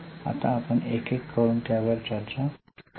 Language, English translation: Marathi, Now let us see or discuss them one by one